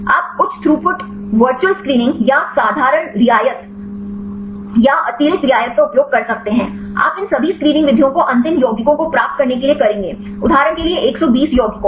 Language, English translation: Hindi, You can use the high throughput virtual screening or simple precession or the extra precession; you will do all these screening methods to get the final compounds say 120 compounds